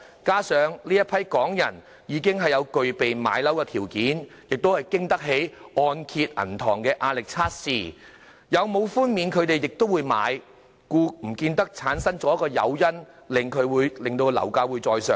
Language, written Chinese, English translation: Cantonese, 加上這群港人已具備買樓的條件，亦經得起提供按揭銀行的壓力測試，有否寬免他們亦會買樓，因此也不見得產生誘因，令樓價再上升。, Besides as these people already have the means to buy their homes and can pass the stress test of the bank offering the mortgage they will do so with or without the concessions hence there will be no incentive leading to an increase in property prices